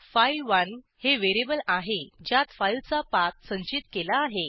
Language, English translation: Marathi, file1 is the variable in which we save the path of the file